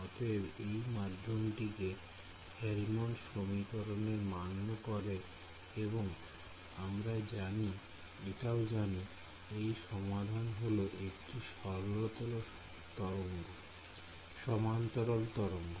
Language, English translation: Bengali, So, this unbound medium follows the Helmholtz equation right and we know that the solution to this is a plane wave solution right